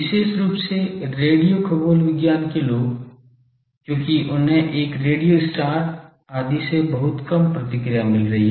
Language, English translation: Hindi, Particularly radio astronomy people, because they are getting very feeble response from a radio star etc